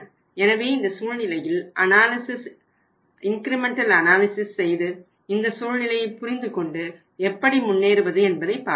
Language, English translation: Tamil, So in this situation let us go for the incremental analysis and try to understand that how this all say this situation works out and how we move forward